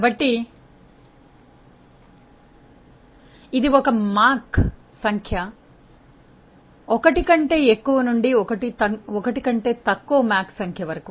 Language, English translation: Telugu, So, a Mach number greater than 1 to a Mach number less than 1